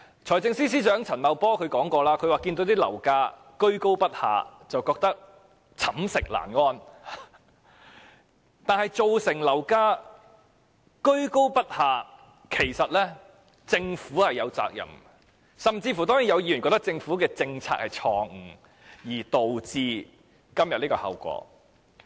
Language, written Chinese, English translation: Cantonese, 財政司司長陳茂波曾說樓價居高不下，覺得寢食難安，但樓價居高不下，政府是有責任的，有議員甚至覺得是政府的政策錯誤，導致今天的後果。, Financial Secretary Paul CHAN said that given the consistently high property prices he could hardly feel at ease . But the Government is responsible for the consistently high property prices . Some Members even hold that the Governments policy blunder has led to the consequences nowadays